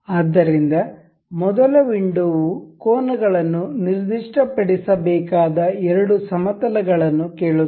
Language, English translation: Kannada, So, the first window ask the two planes that are to be for which the angles are to be specified